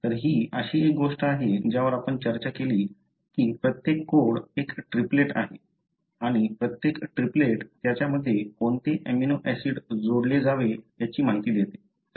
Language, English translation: Marathi, So, this is something we discussed that each code is a triplet and each triplet give an information, as to which amino acid should be added